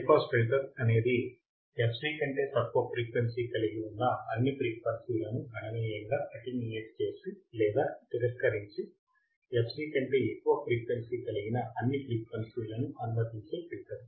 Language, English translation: Telugu, A high pass filter is a filter that significantly attenuates or rejects all the frequencies below f c below f c and passes all frequencies above f c